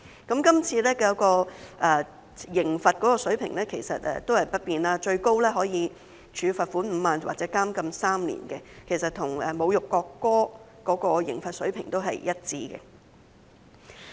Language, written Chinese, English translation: Cantonese, 今次的刑罰水平維持不變，最高可處以罰款5萬元或監禁3年，其實與有關侮辱國歌的刑罰水平一致。, up to a fine of 50,000 or imprisonment for three years remains unchanged and is in fact the same as that in respect of insulting the national anthem